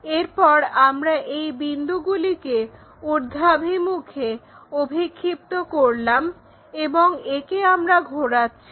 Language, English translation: Bengali, Then, we project those points in the upward direction towards this, and this one what we are rotating